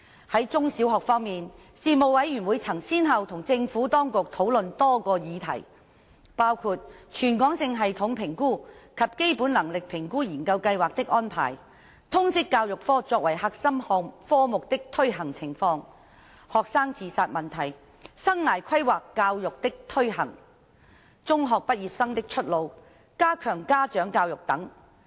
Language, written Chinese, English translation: Cantonese, 在中小學方面，事務委員會曾先後與政府當局討論多個議題，包括全港性系統評估及基本能力評估研究計劃的安排、通識教育科作為核心科目的推行情況、學生自殺問題、生涯規劃教育的推行、中學畢業生的出路、加強家長教育等。, On the front of primary and secondary schools the Panel discussed a number of issues with the Administration . These issues include the arrangement for the Territory - wide System Assessment TSA and Basic Competency Assessment Research Study the implementation of Liberal Studies subject as a core subject student suicide the implementation of career and life planning education the pathways for secondary school leavers strengthening parent education etc